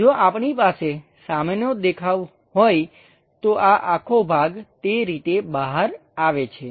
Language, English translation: Gujarati, If we are having front view, this entire portion comes out in that way